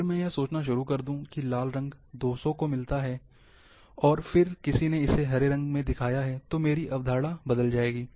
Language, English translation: Hindi, If I start thinking that red colour meets 200, and then somebody assigned green colour, my concept will change